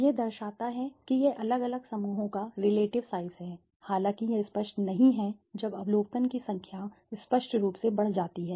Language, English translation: Hindi, It depict it is the relative size of the varying clusters although it becomes unwieldy the when the number of observation increases obviously